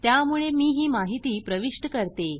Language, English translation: Marathi, So I enter this information